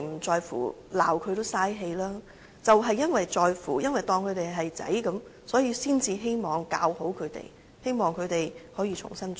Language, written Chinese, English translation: Cantonese, 就是因為在乎，因為當他們是兒子，才希望教好他們，希望他們可以重新做人。, But just because we care just because we treat him like our sons therefore we will try to teach them well and help them to turn over a new leaf